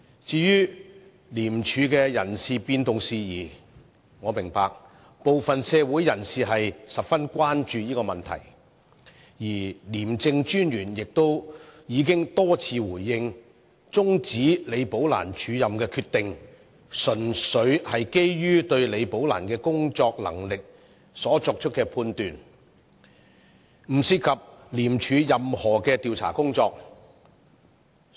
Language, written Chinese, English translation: Cantonese, 至於廉署的人事變動事宜，我明白部分社會人士十分關注，而廉政專員亦已多次回應，解釋終止李寶蘭署任安排的決定，純粹是基於對李寶蘭工作能力所作的判斷，並不涉及廉署任何調查工作。, As for the personnel reshuffle within ICAC I understand that some members of the public are gravely concerned about the matter but the Commissioner of ICAC has repeatedly responded and explained that the decision to terminate the acting appointment of Ms Rebecca LI was made purely on the basis of his judgment of the work ability of Rebecca LI and it had nothing to do with any investigation work undertaken by ICAC